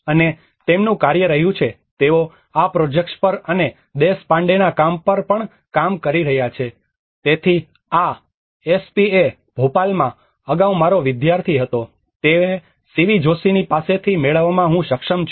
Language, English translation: Gujarati, \ \ And his work has been, he has been working on this projects and also Deshpande\'eds work, so this I have able to procure from Shivi Joshi\'eds, who was my student earlier in SPA Bhopal